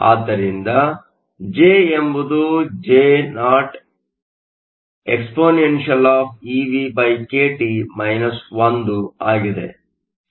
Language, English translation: Kannada, Jo is known, J is known eVkT 1